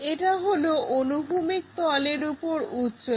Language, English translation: Bengali, This is height above horizontal plane